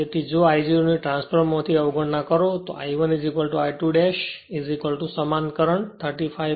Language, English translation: Gujarati, So, if you neglect the I 0 then from the transformer you have seen I 1 is equal to I 2 dash is equal to same current 35